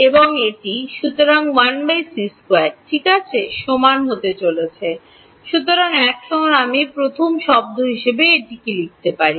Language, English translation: Bengali, And this is, therefore, going to be equal to 1 by c squared ok; so, now what should I write this as first term